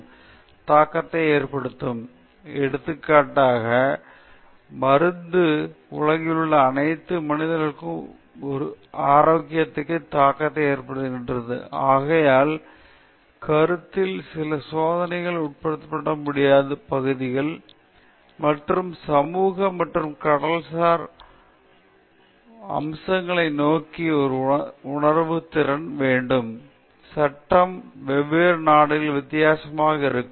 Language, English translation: Tamil, Say, for example, a research in the pharmaceutical industry, the medicine which is going to be invented or designed will have implications on the health of all human beings in the globe, so, in that sense, but certain experiments cannot be conducted in certain areas, and one has to be sensitive towards the cultural aspects then social and legal; certain countriesÉ Law will be different in different countries